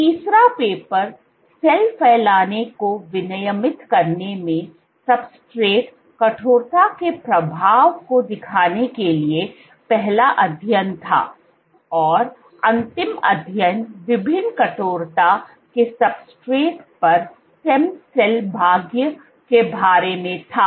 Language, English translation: Hindi, So, the third paper was the first study to show effect of substrate stiffness in regulating cell spreading, and the final study was about stem cell fate, on substrates of different stiffness